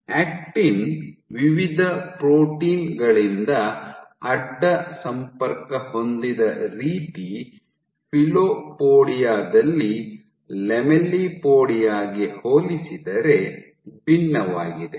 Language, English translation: Kannada, So, filopodia in the way the actin is cross linked by various proteins is different in case of filopodia versus in case of lamellipodia